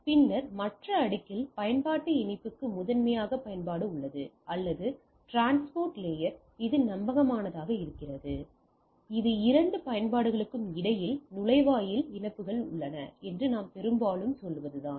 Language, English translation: Tamil, And then at the other layer there are primarily application to application connectivity, or in transport layer it gives a reliable are this is a that what we mostly say that there are gateway connections between the two applications